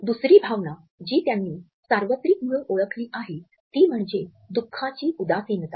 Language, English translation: Marathi, The second emotion which they have identified as being universal is that of sadness of sorrow